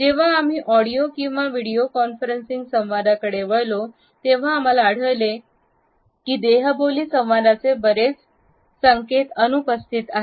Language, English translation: Marathi, When we shifted to audio or video conferencing, we found that many cues of nonverbal communication started to become absent